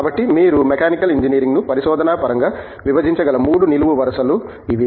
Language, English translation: Telugu, So, these are the 3 verticals that you can divide Mechanical Engineering research into